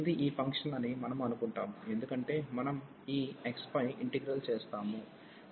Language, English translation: Telugu, So, this we assume that this is a function of alpha, because we are integrating over this x